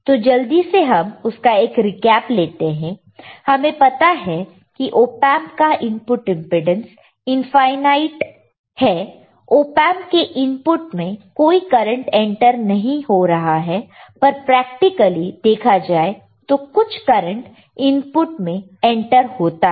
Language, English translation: Hindi, Let us quickly once again see ideally we know that input impedance of op amp is infinite right, then there is no current end entering in the input of the op amp, but in the real world some content does enter the inputs